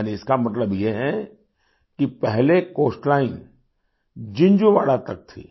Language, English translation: Hindi, That means, earlier the coastline was up to Jinjhuwada